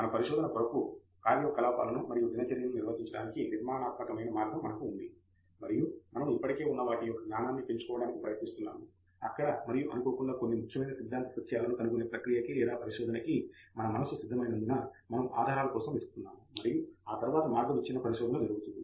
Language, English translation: Telugu, We do have a structured way of going about performing our routine activities for research and then we are trying to incrementally add knowledge to what is already there and in the process by serendipity or because our mind is prepared, we are looking for clues and then path breaking research happens